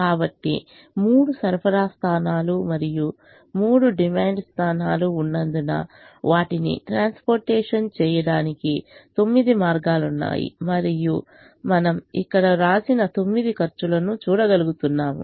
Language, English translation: Telugu, so, since there are three supply points and three demand points, there are nine ways of transporting them and you are able to see nine costs that are written here